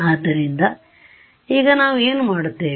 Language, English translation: Kannada, So, now what we do